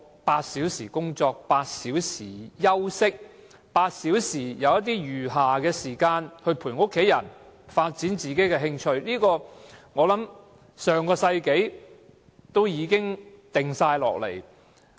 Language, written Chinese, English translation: Cantonese, 八小時工作 ，8 小時休息 ，8 小時餘暇來陪伴家人和發展自己的興趣，這個主張我想在上世紀已提出。, Eight hours of work eight hours of rest and eight hours of leisure for spending time with families and development of ones interest―I think such a belief was introduced in the last century